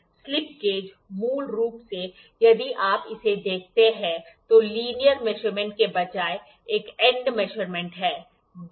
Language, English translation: Hindi, Slip gauge is basically if you see it is an end measurement that than a linear measurement